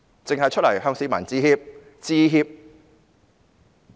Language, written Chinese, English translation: Cantonese, 只是出來向市民致歉。, She just came out to say regrets to the people